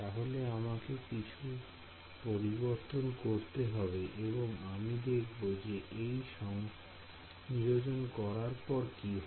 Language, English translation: Bengali, So some change I will have to make over here, but let us see if I substitute this in here what happens